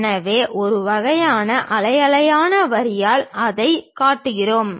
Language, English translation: Tamil, So, we show it by a kind of wavy kind of line